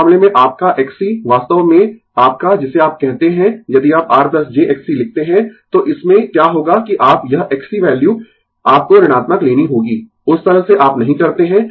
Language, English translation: Hindi, In that case your X c actually your what you call if you write R plus j X c, then in that what will happen that you this X c value you have to take negative, that way you do not do